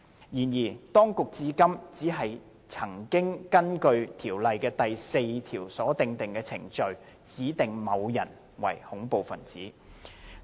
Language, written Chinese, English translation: Cantonese, 然而，當局至今只曾根據《條例》第4條所訂的程序，指定某些人為恐怖分子。, Nevertheless terrorists have so far only been specified in accordance with the designations made by the procedures under section 4 of the Ordinance